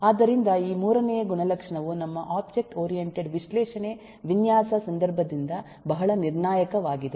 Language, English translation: Kannada, so this third attribute is very critical from our object oriented analysis design context